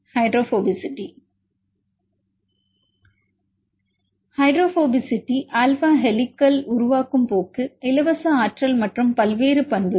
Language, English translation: Tamil, Hydrophobicity, alpha helical forming tendency, the free energy various properties